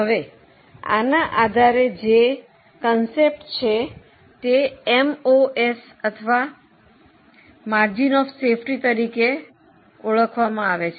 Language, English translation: Gujarati, Now based on this there is a concept called as MOS or margin of safety